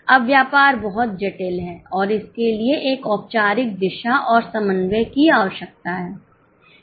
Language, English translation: Hindi, Now, business is very complex and it requires a formal direction and coordination